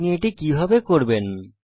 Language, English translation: Bengali, How do you do this